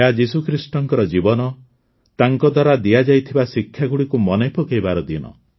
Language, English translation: Odia, It is a day to remember the life and teachings of Jesus Christ